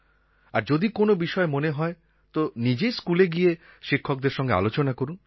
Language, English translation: Bengali, And if something strikes your attention, please go to the school and discuss it with the teachers yourself